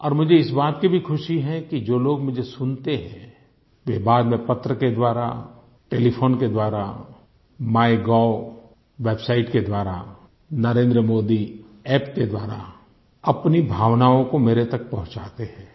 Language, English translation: Hindi, I am also very happy that the people who listen to me, later communicate their feelings to me through letters, telephone calls, the website MyGov